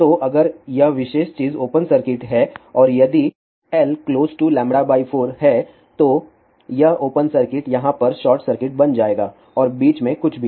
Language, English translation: Hindi, So, if this particular thing is open circuit and if the length is close to lambda by 4 then open circuit will become short circuit over here and anything in between